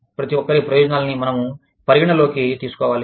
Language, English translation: Telugu, We need to take, everybody's interests, into account